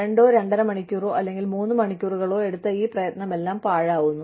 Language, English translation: Malayalam, All this effort, of two, two and a half hours, three hours, gone waste